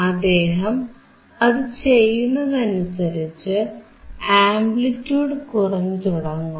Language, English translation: Malayalam, As he increases the frequency the amplitude should start decreasing